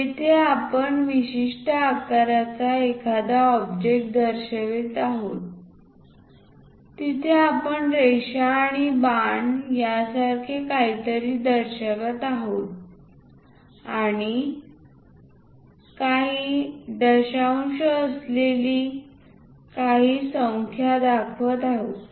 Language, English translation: Marathi, Here we are showing an object of particular shape, there we are showing something like lines and arrow and some numerals with certain decimals